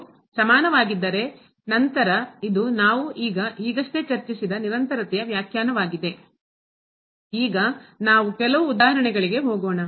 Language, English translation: Kannada, If this is equal, then this is the definition of the continuity we have just discussed